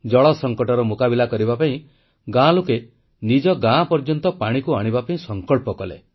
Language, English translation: Odia, To tide over an acute water crisis, villagers took it upon themselves to ensure that water reached their village